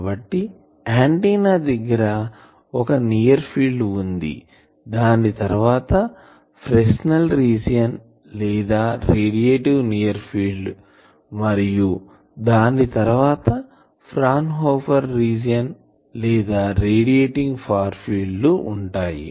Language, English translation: Telugu, So, you see near the antenna there is near field, after that there is region which is Fresnel region or radiative near field and further away is the Fraunhofer region or radiating far field